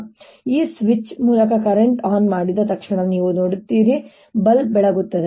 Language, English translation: Kannada, you see, as soon as i turned the current on by this switch, you see that the bulb lights up in a similar manner